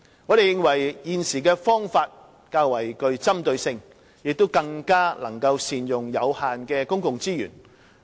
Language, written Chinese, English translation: Cantonese, 我們認為，現時的方法較具針對性，亦更能善用有限的公共資源。, We consider that the current approach is more target - oriented which can also make better use of the limited public resources